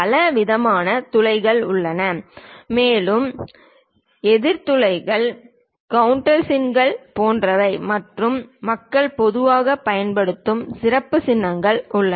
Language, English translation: Tamil, There are variety of holes and so on so, things like counter bores countersinks and so on there are special symbols people usually use it